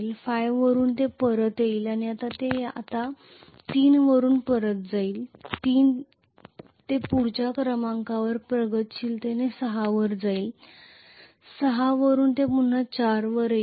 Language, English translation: Marathi, Now from 5 it will come back and it will go back to 3 now from 3 it will go progressively in the front to 6 from 6 it will come back to 4